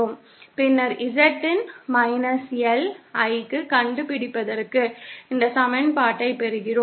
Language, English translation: Tamil, And then for finding out Z of L, that is the impedance at the source, we get this equation